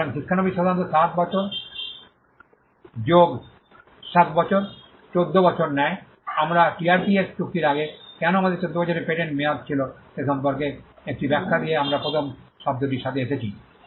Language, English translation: Bengali, So, apprentice normally takes 7 years 7+7 14, that is how we came with the first term this is 1 explanation given as to why we had a 14 year patent term before the TRIPS agreement